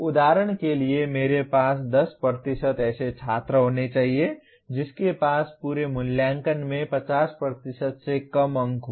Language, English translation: Hindi, For example I must have 10% of the students having less than 50% marks in the entire what do you call assessment